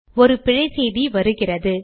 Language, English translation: Tamil, There is an error message I get